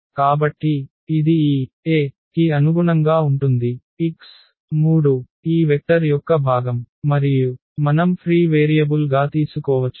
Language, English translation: Telugu, So, that corresponds to this x 3 component of this vector and which we can take as the free variable